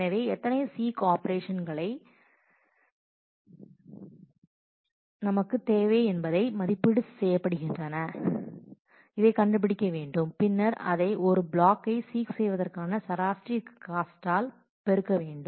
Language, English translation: Tamil, So, we will need to find out how many estimate how many seek operations we need and multiply that by the average cost of seeking a block